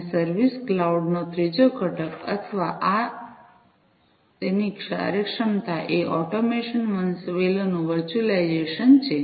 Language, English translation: Gujarati, And the third component of the service cloud or this or its functionality is the virtualization of the automation hierarchy